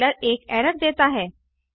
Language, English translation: Hindi, The compiler gives an error